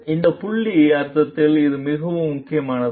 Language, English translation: Tamil, This point is very important in the sense